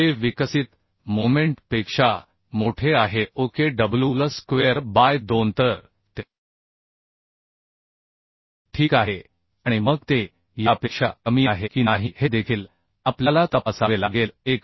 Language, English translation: Marathi, 4 kilo newton meter which is greater than the develop moment wl square by 2 So it is okay and then also we have to check whether it is less than this or not 1